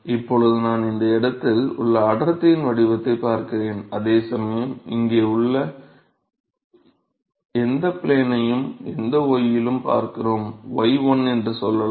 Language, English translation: Tamil, Now I look at the density profile in this location here while look at any plane here, any plane at any y let us say y1